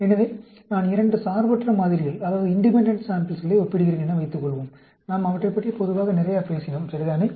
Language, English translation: Tamil, So suppose, I am comparing two independent samples, generally, we talked quite a lot, right